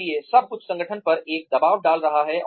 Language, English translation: Hindi, So, everything is putting a pressure on the organization